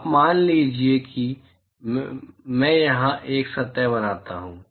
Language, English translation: Hindi, Now, supposing I draw a surface here